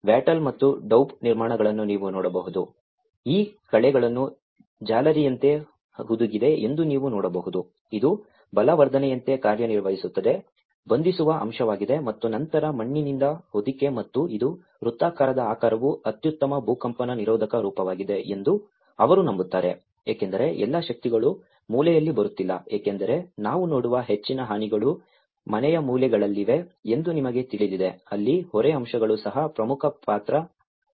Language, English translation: Kannada, You can see that there is a wattle and daub constructions, it has you can see that these weeds the wattle has been embedded like a mesh, it acts like a reinforcement, is a binding element and then the cover with the mud and this is a circular shape because they believe that the circular shape is the best earthquake resisted form because all the forces are not coming at the corner because most of the damages which we see is at the corners of a house you know that is where the load aspects also play an important role